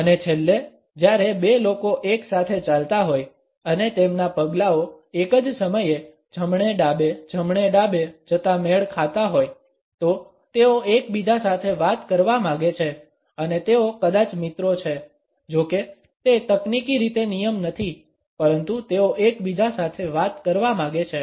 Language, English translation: Gujarati, And finally, when two people are walking together and their steps are matched going right left, right left at the same time; they want to talk to each other and they are probably friends although that is not technically a rule, but they want to talk to each other